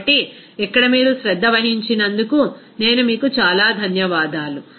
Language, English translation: Telugu, So, I thank you a lot for your kind attention here